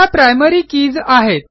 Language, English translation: Marathi, They are the Primary Keys